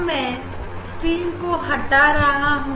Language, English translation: Hindi, So now, I will remove the screen Now, I will remove the screen